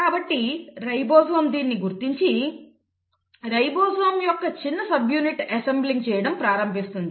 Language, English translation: Telugu, So the ribosome will recognise this and the small subunit of ribosome will then start assembling, this is the small subunit of ribosome